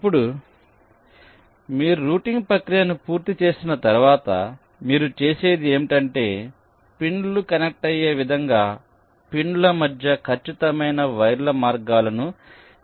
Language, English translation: Telugu, now, once you complete the process of routing, what you do is that you actually determine the precise paths for the wires to run between the pins so as to connect them